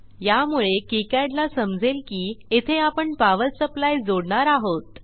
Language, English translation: Marathi, So then kicad will know that we are going to connect a power supply here